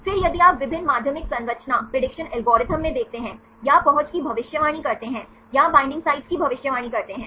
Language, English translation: Hindi, Then if you look into the various secondary structure prediction algorithms or predicting the accessibility or predicting the binding sites